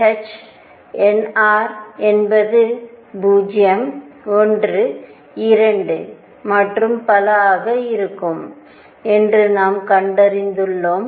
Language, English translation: Tamil, And we have found that nr will be 0 1 2 and so on